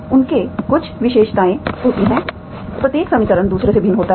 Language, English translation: Hindi, They have certain properties each equation is different from the other